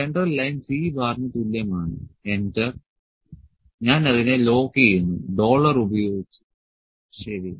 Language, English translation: Malayalam, Central line is equal to C bar enter let me lock it dollar and dollar, ok